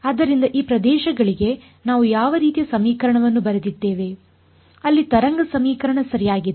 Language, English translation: Kannada, So, what kind of equation did we write for these 2 regions there were the wave equation right